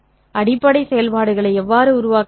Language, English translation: Tamil, So, how do I generate the basis functions